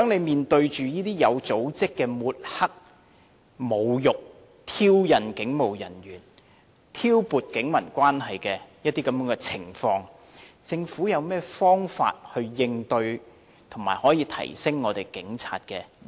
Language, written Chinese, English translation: Cantonese, 面對這些有組織地抹黑、侮辱和挑釁警務人員，以及挑撥警民關係的情況，政府有何方法應對，並且提升警察的形象？, Facing such situations of smearing insulting and provoking police officers and driving a wedge between the Police and the public in an organized manner what methods does the Government have to address the situations and enhance the image of the Police?